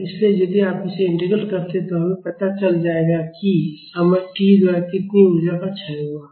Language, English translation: Hindi, So, if you integrate this, we will get how much energy is dissipated by the time t